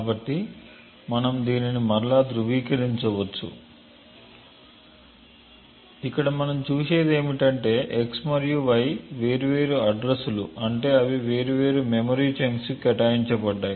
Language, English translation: Telugu, So, we can verify this again by something like this and what we see over here is that x and y are of different addresses meaning that they have been allocated to different chunks of memory